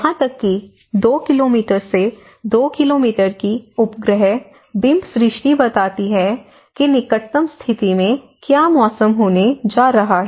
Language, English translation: Hindi, So, even the satellite imagery of 2 kilometre by 2 kilometre, so they gives you an at least the nearest status of what is the weather going to be